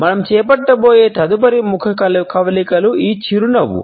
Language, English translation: Telugu, The next facial expression which we shall take up is this smile